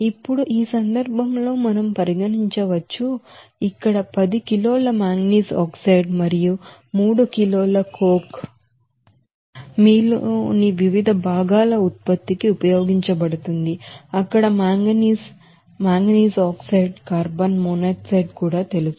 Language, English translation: Telugu, Now, in this case basis we can consider that since here 10 kg of manganese oxide and 3 kg coke is used for this production of different components of you know that manganese, manganese oxide, even carbon monoxide there